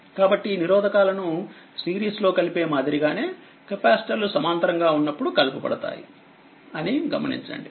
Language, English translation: Telugu, So, note that capacitors in parallel combining the same manner as resistor in series